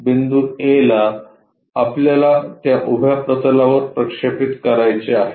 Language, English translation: Marathi, The point A projected onto this vertical plane